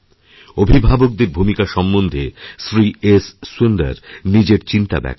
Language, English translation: Bengali, Sunder Ji has expressed his feelings on the role of parents